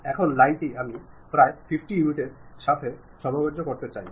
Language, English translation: Bengali, Now, line I would like to adjust it to some 50 units ok, done